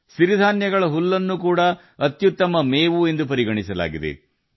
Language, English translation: Kannada, Millet hay is also considered the best fodder